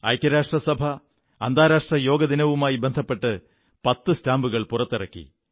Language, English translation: Malayalam, On the occasion of International Day of Yoga, the UN released ten stamps